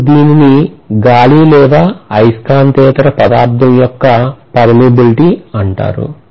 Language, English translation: Telugu, Now this is known as the permeability of free space or air or a non magnetic material basically